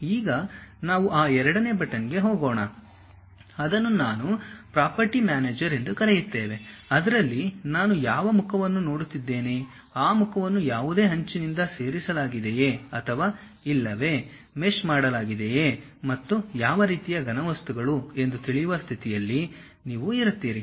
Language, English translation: Kannada, Now, let us move on to that second button that is what we call property manager In that you will be in a position to know which face I am really looking at, whether that face is added by any edge or not, what kind of solids are have been meshed and other kind of details